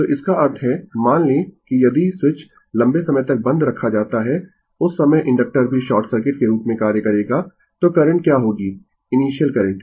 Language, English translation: Hindi, So that means, you assume that if the switch is closed for a long time at that time inductor also will act as a short circuit then ah then what will be the your current initial initial current